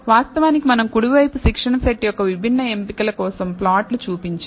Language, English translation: Telugu, Of course on the right hand side we have shown plots for different choices of the training set